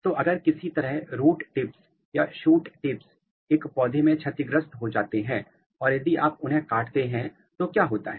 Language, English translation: Hindi, So, if somehow the root tips or shoot tips are damaged in a plant or if you cut them what happens